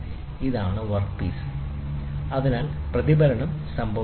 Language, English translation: Malayalam, So, this is at an angle, so reflection happens